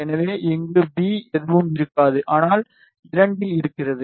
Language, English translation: Tamil, And so, V here will be nothing, but 2 into yeah